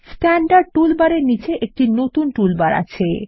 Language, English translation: Bengali, Notice a new toolbar just below the Standard toolbar